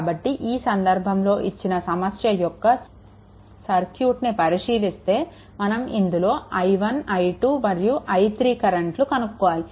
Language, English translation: Telugu, So, in this case, if you look into that for this problem, you have to find out your you have to find out your i 1, then i 2, then i 3 right